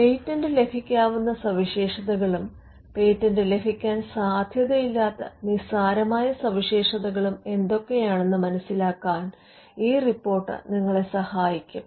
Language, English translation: Malayalam, Now, this report will help you to determine the patentable features from the non patentable or the trivial features